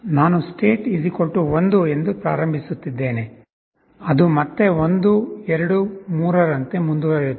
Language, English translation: Kannada, I am initializing state = 1, it will go on like 1, 2, 3, again